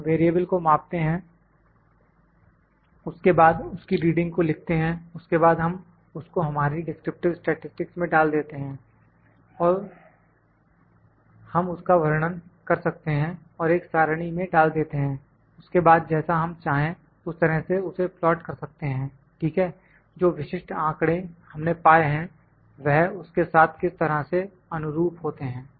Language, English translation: Hindi, We measure the variable then we note on the reading, then we can have we can just put it in our descriptive statistic, we can describe it and put it in a table, then we can plot it the way we like ok, the way that fits proper to the specific data that we are obtained